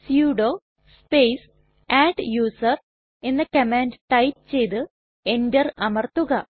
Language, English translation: Malayalam, Here type the command sudo space adduser and press Enter